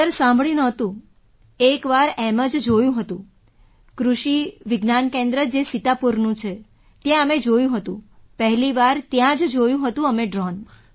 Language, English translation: Gujarati, Sir, I had not heard about that… though we had seen once, at the Krishi Vigyan Kendra in Sitapur… we had seen it there… for the first time we had seen a drone there